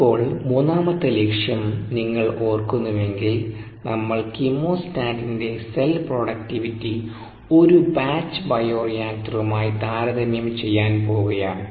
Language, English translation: Malayalam, if you recall, we were going to compare the cell productivities of the chemostat with that of a batch bioreactor